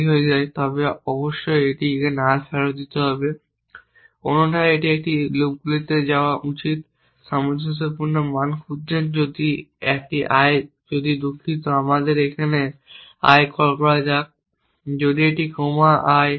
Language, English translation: Bengali, So, if any point di becomes empty it must return null otherwise it it should go into the this loops looking for consistent value if a i if a sorry let us call this a a i if a comma a i